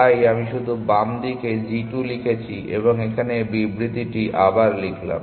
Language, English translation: Bengali, So, I just wrote g 2 on to the left hand side and rewritten the statement here